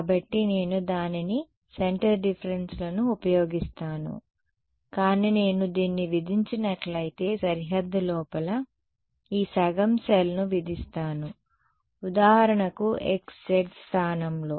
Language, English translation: Telugu, So, then I impose it use centre differences, but impose this half a cell inside the boundary if I impose this so, at for example, at the location of x z